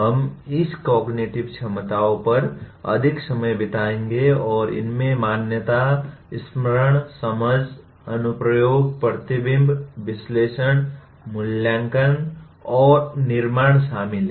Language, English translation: Hindi, We will be spending more time on this cognitive abilities and these include recognition, recollection, understanding, application, reflection, analysis, evaluation and creation